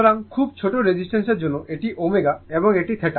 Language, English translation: Bengali, So, for very small resistance this this is your omega and this is theta